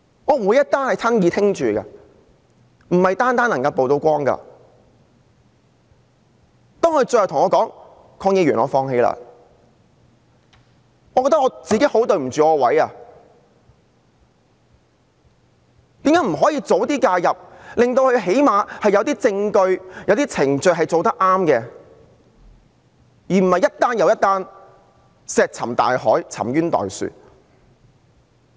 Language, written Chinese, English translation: Cantonese, 當受害人最後對我說："鄺議員，我放棄了"，我覺得自己很對不起自己的職位，我為何不能及早介入，令她們最低限度有些證據和程序得到妥善處理，而不是令一宗又一宗個案石沉大海，沉冤待雪。, When the victims finally said to me Mr KWONG I give up I felt like I do not worth my salt . Why couldnt I have intervened earlier so that they had at least some evidence and procedures properly handled rather than leaving one case after another unanswered pending redress of grievances